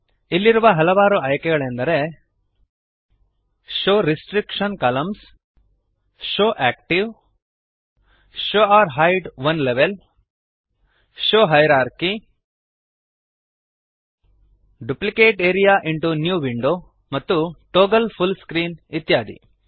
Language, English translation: Kannada, Here are various options like Show restriction columns, show active, show or hide one level, show hierarchy, Duplicate area into New window and Toggle full screen